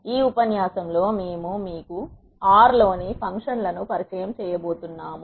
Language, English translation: Telugu, In this lecture we are going to introduce you to the functions in R